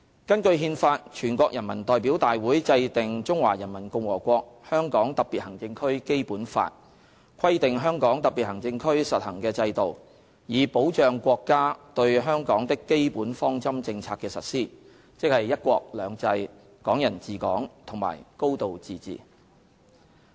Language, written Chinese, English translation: Cantonese, 根據《憲法》，全國人民代表大會制定《中華人民共和國香港特別行政區基本法》，規定香港特別行政區實行的制度，以保障國家對香港的基本方針政策的實施，即"一國兩制"、"港人治港"和"高度自治"。, In accordance with the Constitution NPC enacted the Basic Law of the Hong Kong Special Administrative Region HKSAR of the Peoples Republic of China prescribing the systems to be practised in HKSAR in order to ensure the implementation of the basic policies of the Peoples Republic of China regarding Hong Kong namely one country two systems Hong Kong people administering Hong Kong and a high degree of autonomy